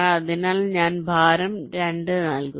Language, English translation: Malayalam, so i give a weight of two